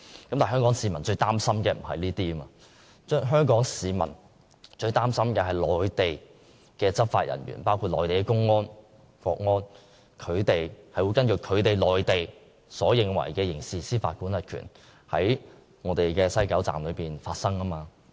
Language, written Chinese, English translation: Cantonese, 然而，香港市民最擔心的並非這些問題，而是內地執法人員，包括內地公安和國安人員會根據內地所理解的準則，在西九龍站執行刑事司法管轄權。, However these issues are not the gravest concern of Hong Kong people . Rather their gravest concern is that Mainland law enforcement personnel including public security and national security personnel may exercise jurisdiction at the West Kowloon Station according to Mainland standards